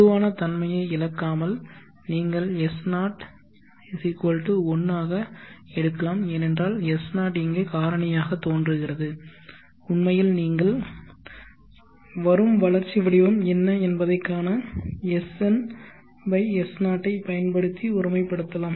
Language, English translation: Tamil, You can take S0=1 without loss of generality because S0 is appearing here as a factor every in fact you can normalize SN/S0 to see what is the growth profile that comes